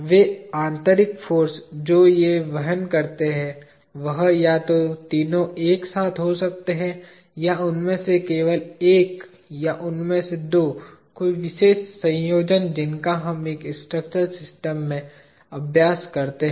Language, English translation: Hindi, The internal force that they carry, could be either all the three of them together, or only one of them or two of them, any particular combination that we work out in a structural system